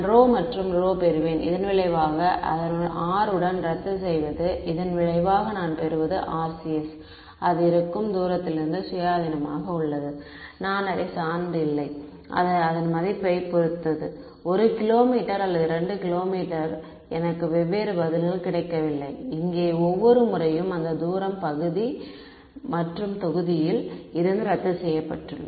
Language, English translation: Tamil, I will get rho and that rho cancels of with this r over here as a result what we will get is that the RCS is independent of the distance at which I am it does not depend, it is not that it depends on the value of it is 1 kilometer or 2 kilometer I do not get different answers each time because that distance has cancelled of from the numerator and denominator over here